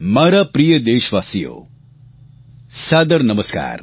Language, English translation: Gujarati, My dear countrymen, Saadar Namaskar